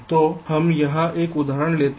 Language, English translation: Hindi, now lets take a simple example here